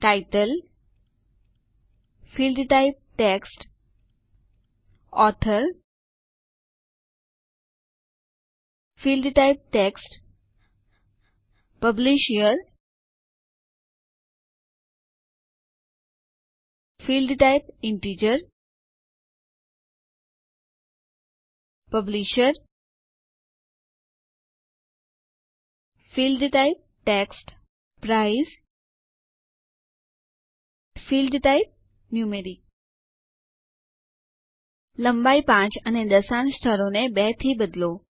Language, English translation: Gujarati, Title, Field type Text, Author Field type Text, Published Year Field type Integer Publisher Field type Text Price Field type Numeric Change the Length to 5 and Decimal places to 2